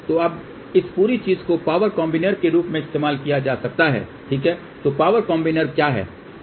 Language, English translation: Hindi, So, now this whole thing can be used as a power combiner ok , so what is a power combiner